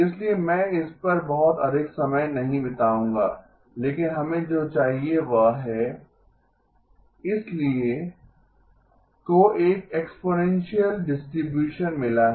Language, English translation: Hindi, So I would not spend too much time on it but what we need is alpha squared, so magnitude alpha squared has got an exponential distribution